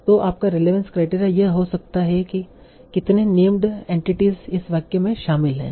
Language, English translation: Hindi, So your relevance criteria might be how many named entities are involved in this sentence